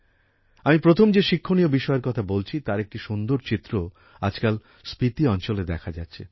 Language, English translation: Bengali, The first lesson that I mentioned, a beautiful picture of it is being seen in the Spiti region these days